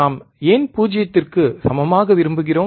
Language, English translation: Tamil, wWhy we want equal to 0